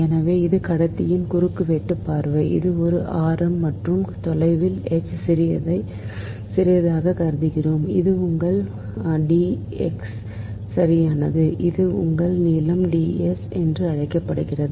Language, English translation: Tamil, so this is a cross sectional view of conductor, this is a radius r and at a distance h, we consider small, ah, very small, this thing, ah, your, with d x, right, and this is that your length d l, this is the your, what we call the arc length d l, right